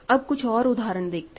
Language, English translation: Hindi, Let us look at another example